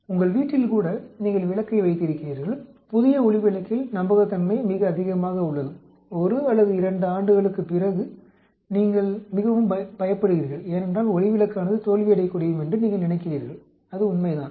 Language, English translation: Tamil, Even in your house you have light bulb, new light bulb reliability is very high, after 1 or 2 years you are very scared because you think the bulb may fail that is true